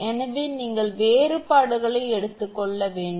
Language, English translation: Tamil, Therefore, you have to take the differences